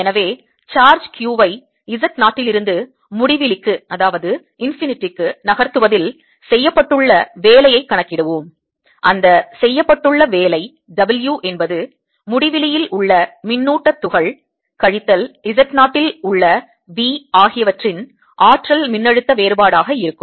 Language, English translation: Tamil, so let us calculate the work done in moving, work done in moving charge q from z zero to infinity, and that work done, w is going to be the potential energy difference of the charge particle at infinity, minus v at z zero